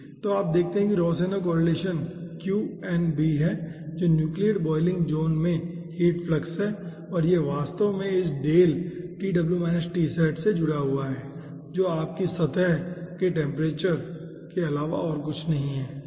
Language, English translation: Hindi, okay, so you see, rohsenow correlation is qnb, which is the heat flux in the nucleate boiling zone, and it actually connected with this del tw minus tsat, which is nothing but your surface temperature